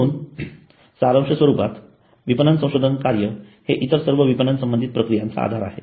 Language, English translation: Marathi, So as a summary, marketing research is the base for all marketing activities